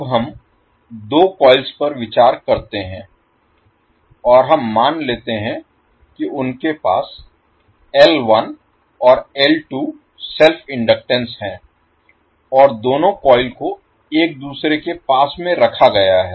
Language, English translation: Hindi, Now let us consider 2 coils and we assume that they have the self inductances L1 and L2 and both coils are placed in a close proximity with each other